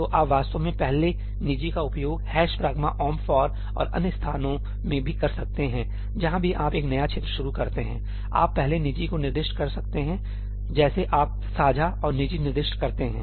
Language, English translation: Hindi, So, you can actually use first private even in ëhash pragma omp forí and other places wherever you are starting a new region, you can specify first private, just like you specified shared and private